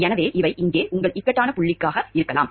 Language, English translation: Tamil, So, these could be your point of dilemma over here